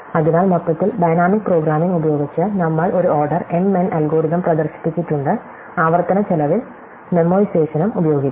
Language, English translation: Malayalam, And therefore, overall using dynamic programming, we have demonstrated an order m n algorithm, we can also use memoization at the cost of recursion